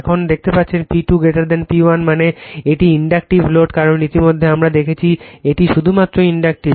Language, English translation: Bengali, Now, now you can see the P 2 greater than P 1 means, it is Inductive load because already we have seen it is Inductive only